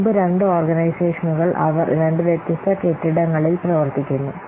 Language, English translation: Malayalam, So previously the two organizations they were running in two different what's building